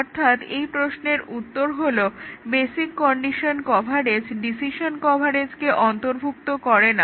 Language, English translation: Bengali, To answer this question that the basic condition coverage does not subsume decision coverage